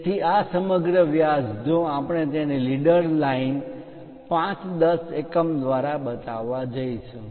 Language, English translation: Gujarati, So, this entire diameter if we are going to show it by leader line 5 10 units